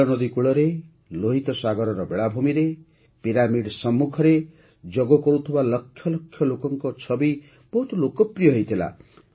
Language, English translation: Odia, The pictures of lakhs of people performing yoga on the banks of the Nile River, on the beaches of the Red Sea and in front of the pyramids became very popular